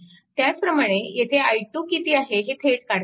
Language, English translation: Marathi, Directly I can write i 3 is equal to right